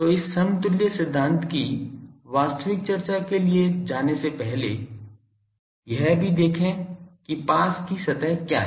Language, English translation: Hindi, So, also before going to this actual discussion of this equivalence principle also what is the close surface